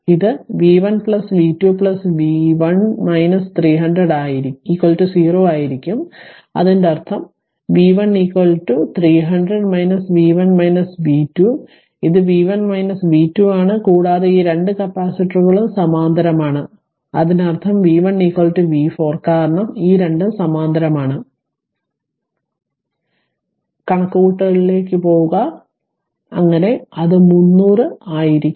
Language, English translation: Malayalam, So, it will be plus v 1 plus v 2 plus v 3 minus 300 is equal to 0 ; that means, my v 3 is equal to your 300 minus v 1 minus v 2 right ah it is v 1 minus v 2 and this this 2 capacitors are in parallel; that means, v 3 is equal to v 4 right because this v these 2 are in parallel So, go to that ah that calculation